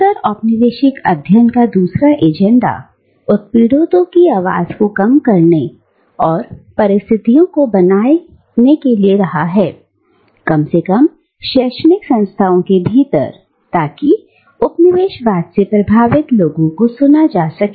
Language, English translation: Hindi, The other agenda of postcolonial studies has been to foreground the voice of the oppressed and to create conditions, at least within the academic institutions, so that the people subjugated by colonialism can be heard